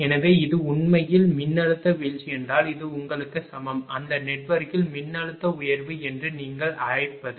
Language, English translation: Tamil, So, this is actually voltage drop mean this is equivalent to your; what you call the voltage raise in that network